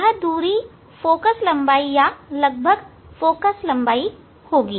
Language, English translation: Hindi, that distance will be focal length approximate focal length